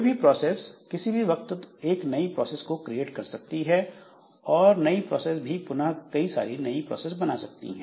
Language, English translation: Hindi, So, any process at any point of time, so it can create a new process and then that new process can again give rise to a number of new processes